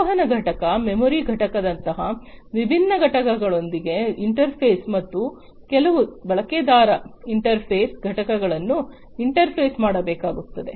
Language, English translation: Kannada, Interface with different components such as the communication unit, the memory unit, and give some user interface components